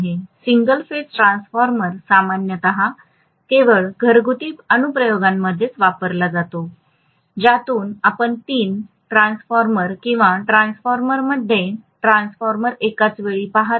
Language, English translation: Marathi, Single phase transformer is commonly used only in domestic applications hardly ever you would see the three, the single phase transformer in transmission or distribution application